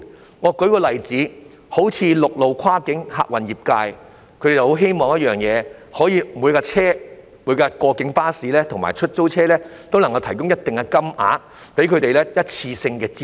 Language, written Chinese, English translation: Cantonese, 讓我舉一個例子，陸路跨境客運業界希望政府可以為每輛跨境巴士及出租車提供一定金額的一次性資助。, Let me give you an example . The land - based cross - boundary passenger service sector hopes that the Government will provide a one - off subsidy of a certain amount for each cross - boundary coach and taxi